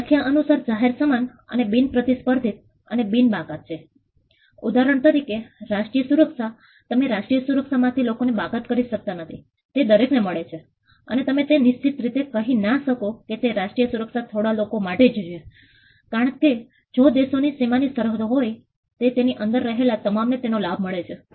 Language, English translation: Gujarati, Public goods by definition are non excludable and non rivalrous for instance national security, you cannot exclude people from national security everybody gets it and you cannot specifically say that national security is only for few people; because, if the countries boundaries are bordered everybody in inside gets to gets the benefit of it